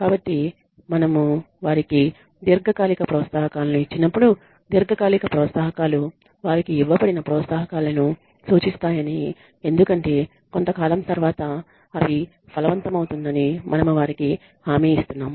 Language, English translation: Telugu, So, when we give them long term incentives we ensure that you know we tell them long term incentives refer to incentives that are given to them for that come to fruition after a period of time